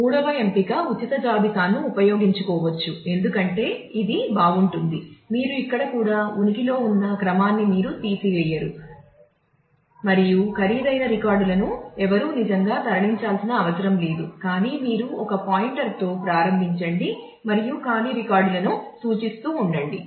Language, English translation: Telugu, The third option could be use a free list, which is a nice one because you would you do not neither here neither you destroy the order that existed and no one have to really move records which is expensive, but you just start with a pointer and keep on pointing to the empty records